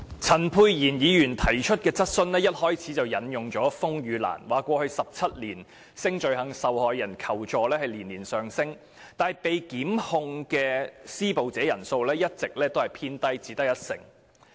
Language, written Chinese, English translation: Cantonese, 陳沛然議員提出的主體質詢一開始便引述，風雨蘭在過去17年接獲性罪行受害人求助的個案年年上升，但被檢控的施暴者人數卻一直偏低，只有約一成。, In Dr Pierre CHANs main question it is mentioned at the outset that the number of requests for assistance from sex crime victims received by RainLily has risen continuously in the past 17 years but the prosecution rates of perpetrators were on the low side at about 10 %